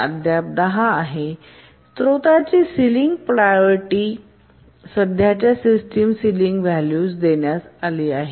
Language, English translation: Marathi, So the ceiling priority of the resource is assigned to the current system ceiling